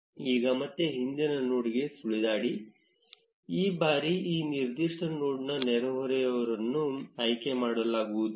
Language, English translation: Kannada, Now again hover over the previous node, this time the neighbors of this particular node will not be selected